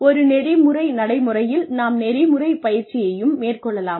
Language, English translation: Tamil, We can have ethics training, in an ethical practice